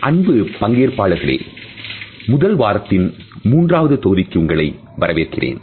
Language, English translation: Tamil, Dear participants, welcome to the third module of 1st week